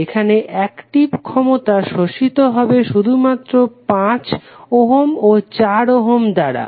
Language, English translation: Bengali, Here the active power can only be absorbed by the resistor 5 ohm and the resistor 4 ohm